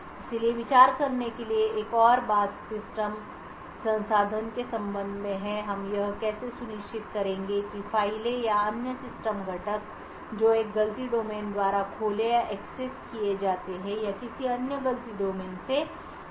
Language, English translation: Hindi, to the system resources how would we ensure that files or other system components which are opened or accessed by one fault domain is not accessed or is protected from another fault domain